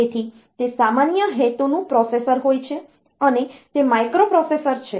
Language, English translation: Gujarati, So, it is a general purpose processor and it is a microprocessor